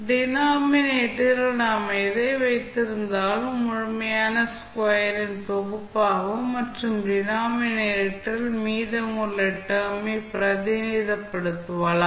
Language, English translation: Tamil, So, whatever we have in the denominator, we can represent them as set of complete square plus remainder of the term which are there in the denominator